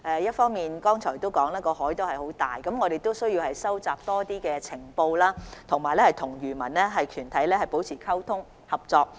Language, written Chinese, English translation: Cantonese, 議員剛才提到海洋那麼大，我們需要收集更多情報，以及與漁民團體保持溝通、合作。, As Members have just said the ocean is so big we need to collect more information and maintain communication and cooperation with fishermen groups